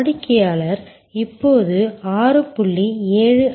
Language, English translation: Tamil, The customer will now be in the process for 6